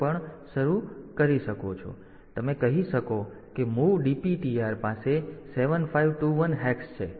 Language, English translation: Gujarati, So, you can say like move DPTR has 7 5 2 1 hex